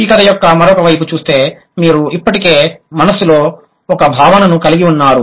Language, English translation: Telugu, The other side of the story, you already have a concept in mind